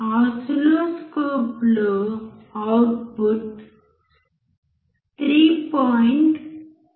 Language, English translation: Telugu, In the oscilloscope, output is about 3